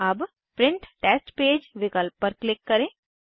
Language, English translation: Hindi, Lets click on Print Test Page option